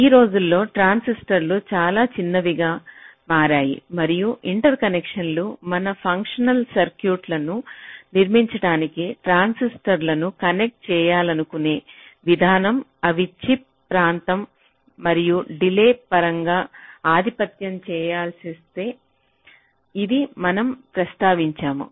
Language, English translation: Telugu, nowadays, the transistors have become very small and the interconnections the way we want to connect the transistors to build our functional circuits they tend to dominate in terms of the chip area and also in terms of the delay